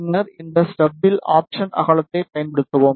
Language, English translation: Tamil, And then use this step option step width